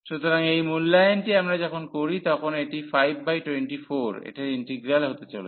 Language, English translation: Bengali, So, this evaluation when we do, this is coming to be 5 by 24 the integral of this